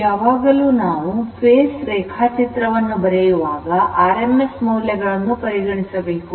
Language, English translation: Kannada, Whenever you write phase value that it is rms value